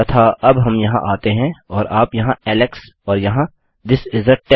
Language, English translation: Hindi, And now we come here and you can type Alex and here This is a test